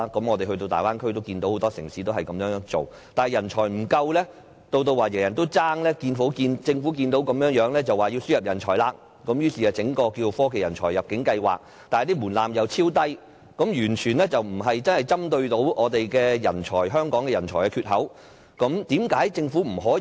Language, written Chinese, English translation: Cantonese, 我們前往大灣區參觀，也看到很多城市這樣做，但政府看到人才不足，以至人人競爭，便說要輸入人才，並且推出科技人才入境計劃，但門檻超低，完全無法針對香港人才缺口的問題。, During our visit to the Bay Area we also saw how various cities competed for talents . In contrast when our Government sees that talents are in short supply and there is this competition for talents it only talks about importing talents and rolls out the Technology Talent Admission Scheme . But then the threshold of this scheme is extremely low so low that it simply cannot help Hong Kong get exactly the kinds of talents it needs